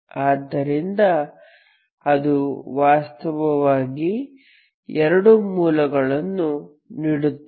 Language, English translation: Kannada, So that is actually will give you two roots